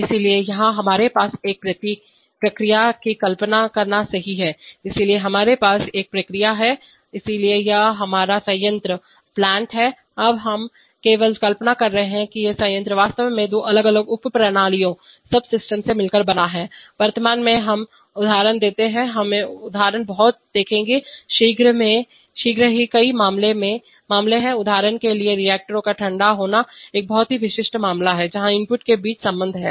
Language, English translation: Hindi, So here we have a, imagine a process right, so here we have a process, so this is our plant, now we are just imagining that the plant is actually consisting of two different subsystems, presently we see examples, we will see examples very shortly there are many cases, for example cooling of reactors is a very typical case, where the relationship between the input